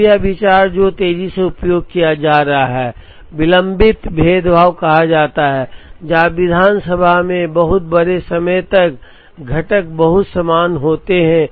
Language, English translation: Hindi, Now, this idea which is being increasingly used is called delayed differentiation, where up to a very large time in the assembly, the components are very similar